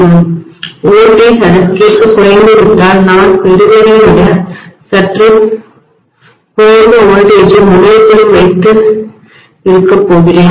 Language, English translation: Tamil, If the voltage is decreased correspondingly I am going to have in the terminal also, a little less voltage than what I was getting